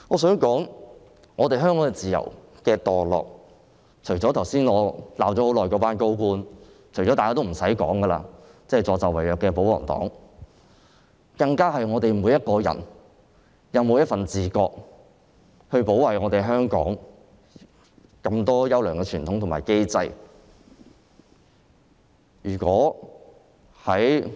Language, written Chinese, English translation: Cantonese, 香港自由度下跌，是由於我剛才罵了很久的高官，以及助紂為虐的保皇黨所致，而我們每個人應自覺地保衞香港的眾多優良傳統和機制。, The decline of freedom in Hong Kong is attributable to senior officials whom I have been chiding for a long time just now and the pro - Government camp who is holding a candle to the devil . We all need to take the initiative to protect the well - established traditions and mechanisms of Hong Kong